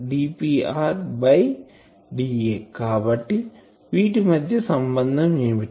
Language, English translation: Telugu, So, what is the relation between these two